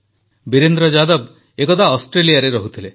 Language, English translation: Odia, Sometime ago, Virendra Yadav ji used to live in Australia